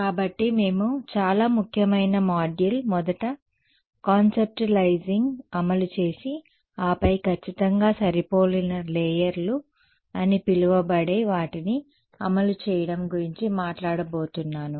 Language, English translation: Telugu, So, the next very important module that we are going to talk about is implementing first conceptualizing and then implementing what are called perfectly matched layers